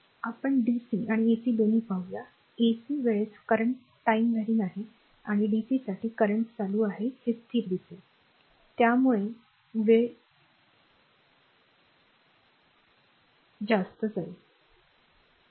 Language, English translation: Marathi, We will see both bc and ac, ac at the time you will see current is time warring right and for dc actually current is constant so, it will not time warring right